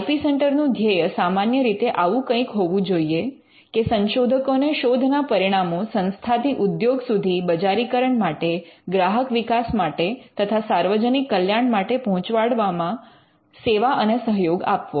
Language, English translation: Gujarati, The mission of an IP centre could typically be something like this to serve and assist researchers in the transfer of institutions research results to industry for commercial application, consumer development and public benefit